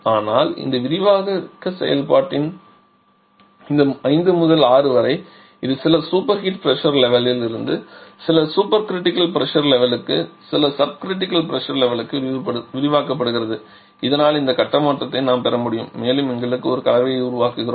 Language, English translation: Tamil, But only during this expansion process from this 5 to 6 it is expanded from some superheated pressure level to some supercritical pressure level to some sub critical pressure level so that we can have this phase change and we have a mixture formation